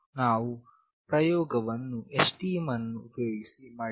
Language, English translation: Kannada, We have done the experiment using STM